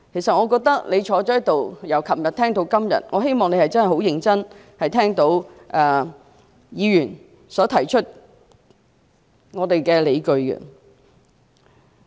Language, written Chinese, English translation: Cantonese, 司長，你坐在這裏，由昨天聽到今天，希望你可以認真聆聽議員提出的理據。, Chief Secretary you have been sitting here and listening to us from yesterday to today I hope you can listen conscientiously to the justifications presented by Members